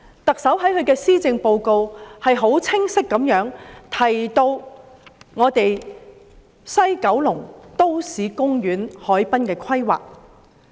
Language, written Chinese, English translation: Cantonese, 特首在施政報告清晰地提及在西九龍的都市公園和海濱規劃。, The Chief Executive has mentioned clearly in the Policy Address the urban parks and harbourfront planning in West Kowloon